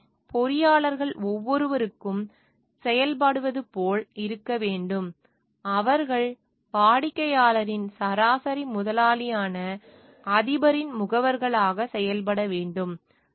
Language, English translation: Tamil, So, it should be such like engineers should act for the each they should be acting as agents of the principal, which is the mean employer of the client